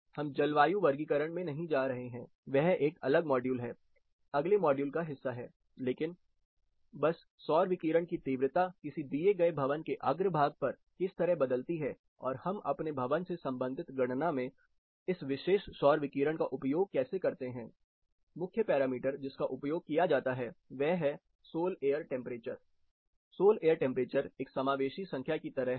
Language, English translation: Hindi, We are not getting into the climate classification that is part of a different module, the subsequent module, but just the solar radiation intensity considerably varies on a given building façade and how do we account for this particular solar radiation in our building related calculation, the main parameter which is used this Sol air temperature which is kind of a inclusive number